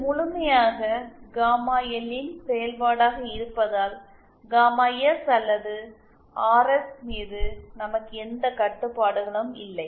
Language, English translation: Tamil, And since it is purely a function of gamma L we have no restrictions on gamma S or RS